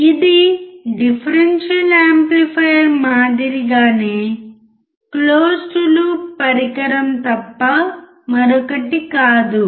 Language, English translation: Telugu, It is nothing but a closed loop device similar to differential amplifier